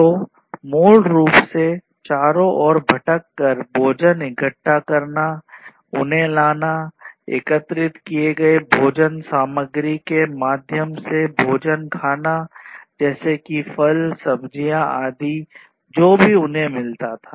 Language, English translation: Hindi, So, basically wandering around collecting food, bringing them, eating the food through the collected samples and so on collected food materials like fruits, vegetables, etc whatever they used to find